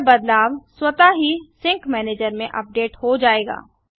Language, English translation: Hindi, This changes will be automatically updated in the sync manager